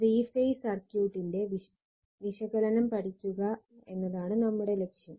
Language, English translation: Malayalam, And next, we will come to the three phase circuit